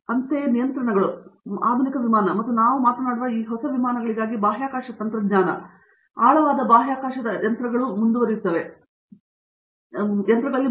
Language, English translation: Kannada, Similarly, things like Controls, for modern aircraft as well as these newer aircraft that we are talking about, space technology going forward into deep space machines and so on